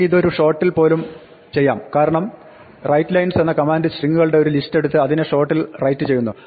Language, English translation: Malayalam, Of course, we can do it even in one shot because there is a command called writes lines, which takes the list of strings and writes them in one shot